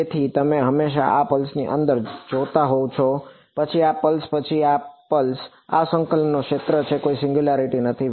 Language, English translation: Gujarati, So, you are always looking at the distance from this pulse then this pulse then this then this pulse, this is the region of integration no singularities